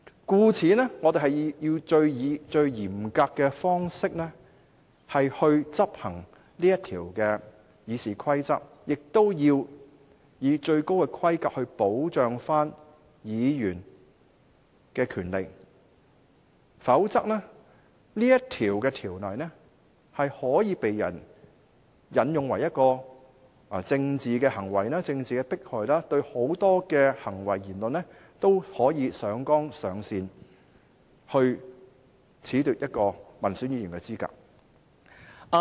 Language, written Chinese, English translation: Cantonese, 因此，我們應以最嚴格的方式來執行《議事規則》這項條文，亦要以最高規格保障議員的權利，否則這項條文可被人用來進行政治行為或政治迫害，對很多行為和言論也可以上綱上線，從而褫奪一位民選議員的資格。, Therefore we should implement this rule of RoP in a most stringent manner and we should adopt the highest standards for the protection of Members rights . Otherwise this rule may be exploited for political acts or political persecution and in that event many acts and remarks may also be escalated to the political plane in an attempt to disqualify an elected Member from office